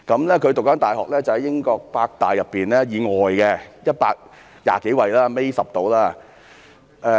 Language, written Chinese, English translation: Cantonese, 他就讀的大學在英國是百大以外，排名120幾位，大約倒數第十。, The university he attended falls outside the top 100 in the United Kingdom . It was ranked beyond 120 about the last but 10